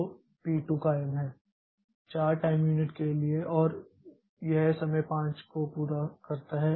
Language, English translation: Hindi, So, P2 continues for 4 time units and it completes at time 5